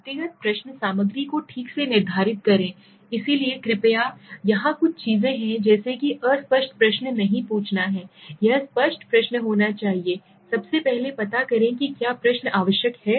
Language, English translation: Hindi, Determine the individual question content okay, so please here there are some things like don t ask an ambiguous questions right, the question should be unambiguous first of all find out is the question necessary